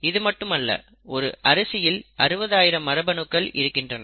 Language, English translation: Tamil, And not just that rice has 60,000 genes